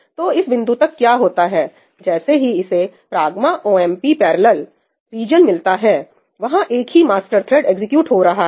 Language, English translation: Hindi, So, what happens is that till this point, where it encounters the ëhash pragma omp parallelí region, there is a single thread that is getting executed the master thread, right